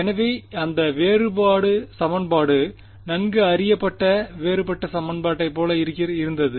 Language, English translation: Tamil, So, and that differential equation looked like a well known differential equation which is